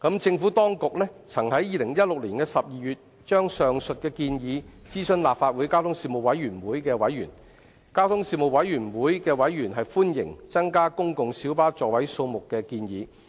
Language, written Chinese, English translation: Cantonese, 政府當局曾於2016年12月就上述建議，諮詢立法會交通事務委員會的委員，交通事務委員會的委員歡迎增加公共小巴座位數目的建議。, The Administration consulted members of the Panel on Transport of the Legislative Council in December 2016 on the aforesaid proposal . Panel members welcomed the proposal to increase the seating capacity of PLBs